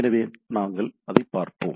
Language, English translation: Tamil, So, we’ll go on looking at it